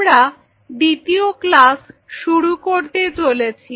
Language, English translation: Bengali, So, we are going to the second class